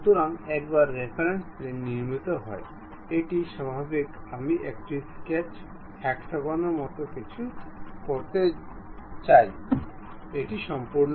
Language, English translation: Bengali, So, once reference plane is constructed; normal to that, I would like to have something like a sketch, a hexagon, done